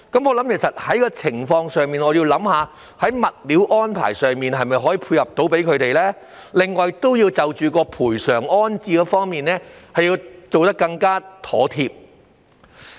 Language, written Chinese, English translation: Cantonese, 我認為在這情況下，要想一想能否在物料安排上配合居民的要求，並就賠償安置作出更妥貼的安排。, Having regard for such circumstances I think it is necessary to consider whether the arrangements on use of materials can be made to meet the requests of the dwellers on the one hand and making more appropriate arrangements for compensation and rehousing